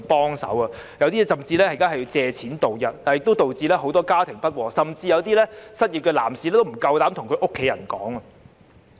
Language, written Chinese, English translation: Cantonese, 有些人現在甚至要借貸度日，這亦導致很多家庭不和，甚至有些失業的男士不敢向家人坦白。, Some people even have to borrow money to make ends meet and this has also led to family discord . Some unemployed men even dare not confess to their families . The unemployed are those who lack the most support at present